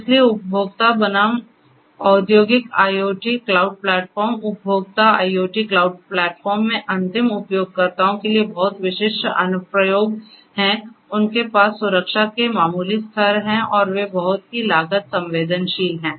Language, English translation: Hindi, So, consumer versus industrial IoT cloud platforms, consumer IoT cloud platforms have very specific applications for from end users, they have modest levels of security implemented and they are very cost sensitive